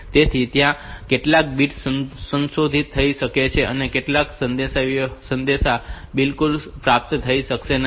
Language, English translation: Gujarati, So, some of the bits may be modified some messages may not be received at all